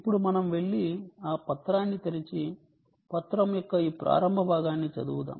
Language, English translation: Telugu, so now let us go and open up that document and read the starting part of the document